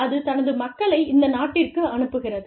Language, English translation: Tamil, It sends its people, to this country